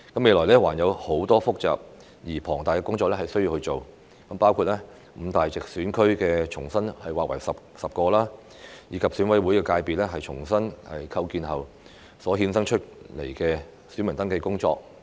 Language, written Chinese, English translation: Cantonese, 未來還有很多複雜而龐大的工作需要做，包括五大直選區重新劃為10個，以及選委會界別重新構建後所衍生出來的選民登記工作。, A lot of complex and extensive work is yet to be done in the future including the re - delineation of the five geographical constituencies into 10 and the voter registration work arising from the new constitution of the EC constituency